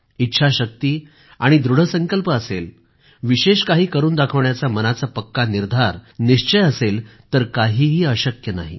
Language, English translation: Marathi, If one possesses the will & the determination, a firm resolve to achieve something, nothing is impossible